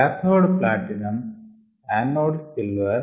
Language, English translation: Telugu, the cathode is platinum and anode is silver